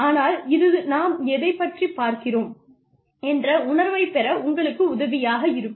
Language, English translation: Tamil, But, it will help you, get some sense of, where we are going with this